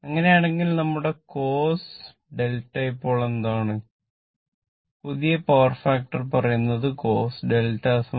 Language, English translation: Malayalam, So, in that case what will happen that our cos delta said now, new power factor say cos delta is equal to 0